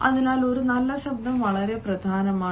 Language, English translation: Malayalam, so a good voice is very important